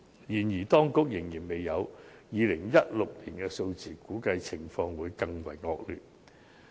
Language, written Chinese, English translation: Cantonese, 然而，當局仍然未有2016年的數字，估計情況更為惡劣。, Nevertheless the figures for 2016 are not yet available . The situation is expected to worsen